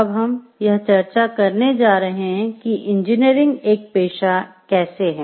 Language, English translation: Hindi, Time and again we have been mentioning like engineering is a profession